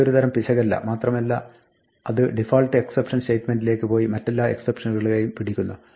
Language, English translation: Malayalam, It is not a type of error and it will go to the default except statement and catch all other exceptions